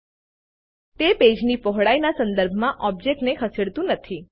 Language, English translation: Gujarati, It does not move the object with respect to the page width